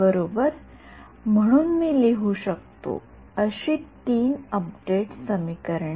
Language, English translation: Marathi, So, equation 1, we are going to write the update equations now ok